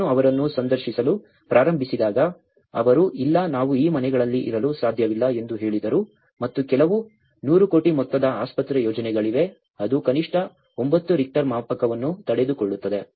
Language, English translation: Kannada, When I started interviewing them, they said no we cannot stay in these houses and some of the, there is a 100 crore hospital projects which can at least resist to 9 Richter scale